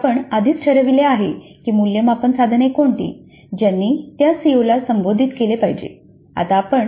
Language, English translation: Marathi, For a CO we already have decided what are the assessment instruments which should address that CO